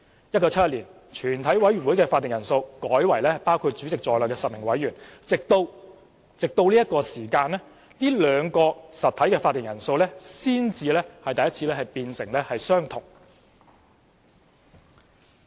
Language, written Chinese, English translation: Cantonese, 1971年，全委會的會議法定人數改為包括主席在內的10位委員，直至這刻兩個實體的會議法定人數才變相同。, In 1971 the quorum of a committee of the whole Council was changed to 10 members including the Chairman . Only until then did the quorum of the two entities become the same